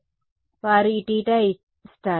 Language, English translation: Telugu, So, they give this theta